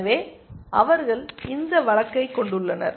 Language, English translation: Tamil, So, they have this case essentially